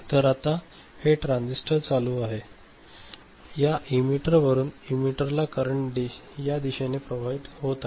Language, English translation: Marathi, So, now this transistor is ON so, this emitter from this emitter the current will flowing in this direction right